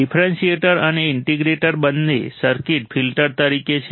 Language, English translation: Gujarati, Differentiator and integrator both the circuits are as filters